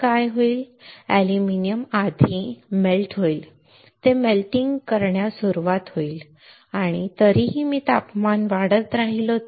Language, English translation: Marathi, What will happen aluminum will first get melt it will start melting and if I still keep on increasing the temperature